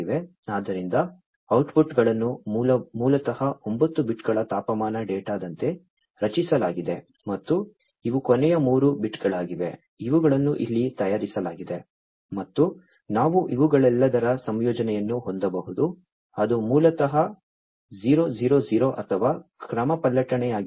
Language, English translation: Kannada, So, I told you that the outputs are basically generated as 9 bits of temperature data and these are the last three bits, that are shown over here, and we can have a combination of all of these like, you know, it could be 000 or a permutation basically permutation 011 over here it is 011